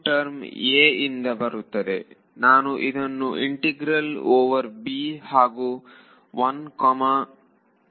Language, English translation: Kannada, So, U 2 term is going to come from A I will write it as integral over b and 1 comma 0 next comes U 3